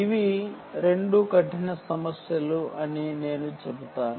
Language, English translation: Telugu, i would say these are two hard problems